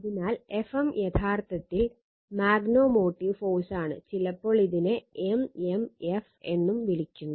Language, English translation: Malayalam, So, F m is actually magnetomotive force, sometimes we call it is at m m f